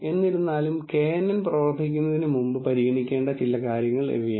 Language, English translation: Malayalam, However, these are some of these the things to consider before applying kNN